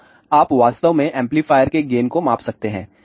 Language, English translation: Hindi, So, you can actually measure the gain of the amplifier